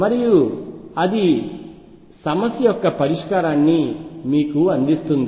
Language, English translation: Telugu, And that gives you the solution of the problem